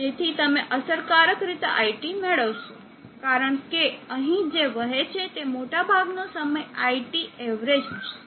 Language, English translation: Gujarati, S so you will effectively get IT, because majority of the time what is flowing here will be the IT average